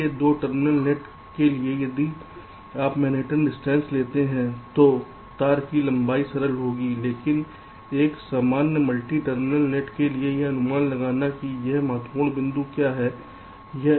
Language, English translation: Hindi, so if you take the manhattan distance, the wire length will be simple, this, but for a general multi terminal nets, how to estimate